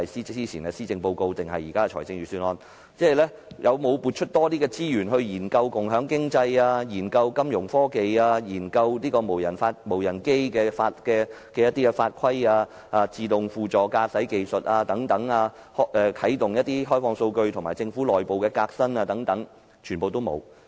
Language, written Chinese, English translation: Cantonese, 早前的施政報告或現時的預算案，有否撥出更多資源研究共享經濟、金融科技、無人機的法規、自動輔助駕駛技術、啟動開放數據，以及政府內部革新等？, In the Policy Address announced earlier or this Budget has more resources been allocated to conduct studies in areas such as sharing economy financial technologies regulations on unmanned aircraft systems autopilot techniques open data development and the internal reform of the Government?